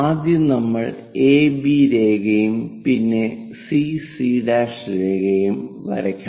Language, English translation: Malayalam, First, we have to draw AB line and then CC dash